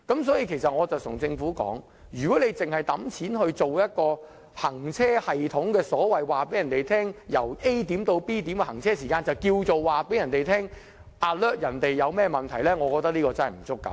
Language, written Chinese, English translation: Cantonese, 所以，我對政府說，如果只是花錢安裝一個行車系統，告訴市民由 A 點到 B 點的行車時間，便當作向市民發出預警，令他們知道發生問題，我覺得這並不足夠。, This is why I have told the Government that if funds are ploughed in for installing a system that only tells people the time it takes to go from place A to place B and if that would be taken as having alerted the public of the situation I would consider it far from adequate